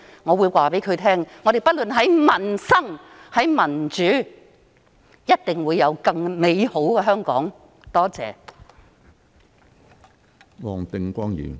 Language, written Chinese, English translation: Cantonese, 我會告訴她："我們不論在民生或民主方面，也一定會令香港更美好。, This is what I will tell her Hong Kong will definitely become a better place whether in terms of peoples livelihood or democratic development